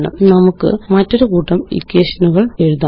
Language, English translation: Malayalam, Let us write another set of equations